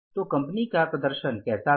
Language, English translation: Hindi, So, what was the performance of the company